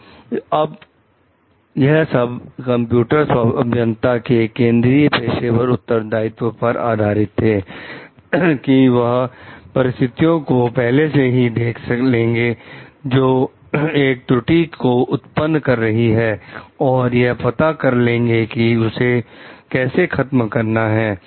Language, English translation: Hindi, So, there relies the central professional responsibility of the computer engineers also to do foresee situations which may lead to errors and then find out how to arrest for it